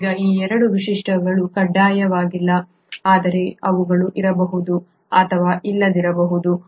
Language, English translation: Kannada, Now these 2 features are not mandatory but they may or may not be present